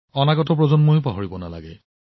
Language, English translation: Assamese, The generations to come should also not forget